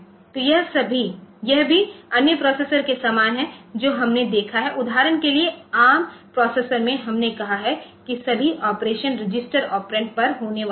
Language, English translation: Hindi, So, also this is similar to other processors that we have seen where this for example, in ARM processor we have said that all the operations are having registers are operand